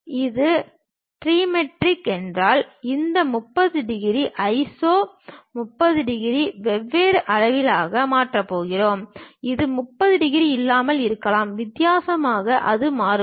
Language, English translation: Tamil, If it is trimetric, where this 30 degrees iso, 30 degrees is going to change in different size; it may not be 30 degrees, differently it varies